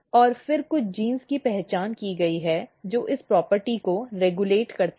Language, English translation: Hindi, And then some of the genes which has been identified which regulates this property